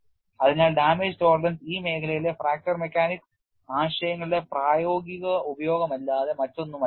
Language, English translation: Malayalam, So, damage tolerance is nothing but practical utilization of fracture mechanics concepts in the field